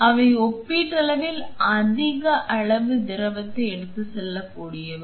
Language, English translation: Tamil, So, they are relatively it can carry more volume of fluid